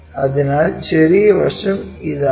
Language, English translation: Malayalam, So, the small side is this one